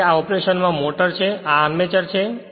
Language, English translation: Gujarati, So, this is the motor in operation and this is the armature